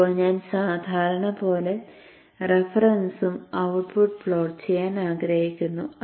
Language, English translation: Malayalam, Now plot I want to plot as usual the reference and the output